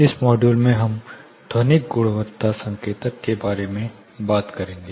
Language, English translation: Hindi, There are two modules in which we will be looking at acoustic quality indicators